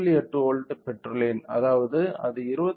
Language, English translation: Tamil, 8 volt which means that it is corresponding to 28